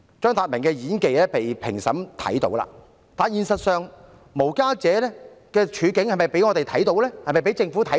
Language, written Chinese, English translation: Cantonese, 張達明的演技，評審都看到了，但現實中，無家者的處境有否被世人和政府所見？, CHEUNG Tat - mings acting skill was noted by the adjudicators but in real life was the predicament of the homeless noticed by the community at large and the Government?